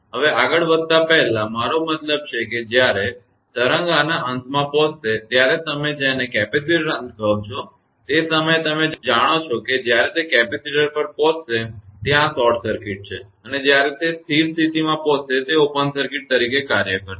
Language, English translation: Gujarati, Now, before proceeding further I mean I will come to that when the wave will reach at the end of this your what you call at the capacitor end, at that time you know that when it reaches capacitor will be where this short circuit right and when it will reach the steady state it will act as open circuit